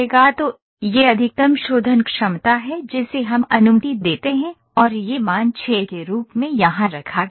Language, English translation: Hindi, So, this is maximum number of mesh refinement that we allow and that is put as a value 6 here